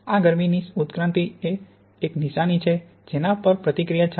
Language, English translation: Gujarati, And this heat evolution is a signature the reaction is going on